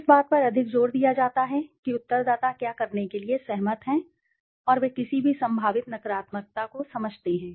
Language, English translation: Hindi, There is more emphasis on what respondents are agreeing to do and that they understand any potential negative